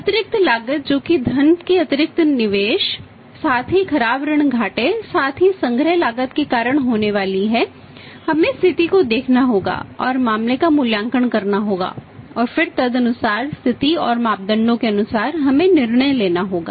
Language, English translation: Hindi, Additional cost which is going to be there because of the say additional investment of the funds as well as the say bad debt losses as well as a collection cost and we will have to look at the situation and evaluate the this case and then accordingly as per the situation and parameters we will have to take the decision